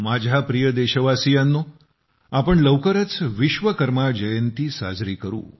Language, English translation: Marathi, in the next few days 'Vishwakarma Jayanti' will also be celebrated